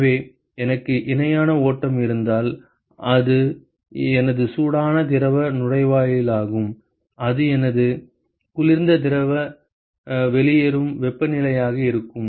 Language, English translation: Tamil, So, therefore supposing if I have a parallel flow, so that is my hot fluid inlet and that will be my cold fluid outlet temperature